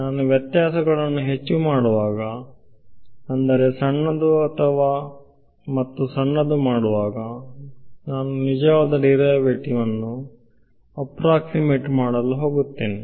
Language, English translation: Kannada, As I make the dis the differences more and I mean smaller and smaller I am going to approximate the actual derivative right